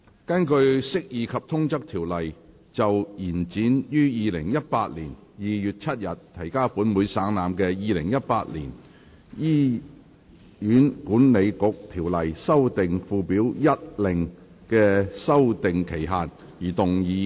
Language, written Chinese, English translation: Cantonese, 根據《釋義及通則條例》就延展於2018年2月7日提交本會省覽的《2018年醫院管理局條例令》的修訂期限而動議的擬議決議案。, Proposed resolution under the Interpretation and General Clauses Ordinance to extend the period for amending the Hospital Authority Ordinance Order 2018 which was laid on the Table of this Council on 7 February 2018